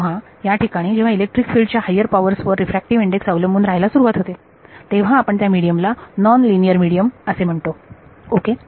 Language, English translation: Marathi, So, where the refractive index begins to depend on high over powers of electric field then you call that a nonlinear medium ok